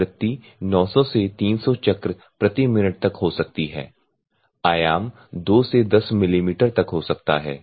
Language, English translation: Hindi, Frequency may range from 900 to 3000 cycles per minute, the amplitude can be ranged from 2 to 10 mm